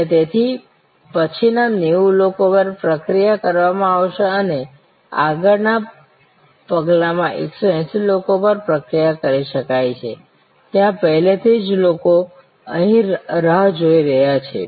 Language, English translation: Gujarati, And therefore, the next one even though 90 people can be processed and in the next step 180 people can be processed, there are already people waiting here